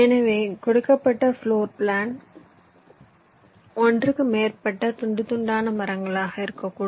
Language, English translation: Tamil, so for a given floor plan there can be more than one slicing trees possible